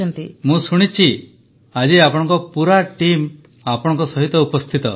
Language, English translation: Odia, And I heard, that today, perhaps your entire team is also sitting with you